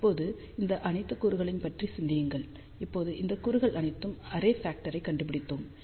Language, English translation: Tamil, Now, think about all these elements, now we have found out the array factor of all of these elements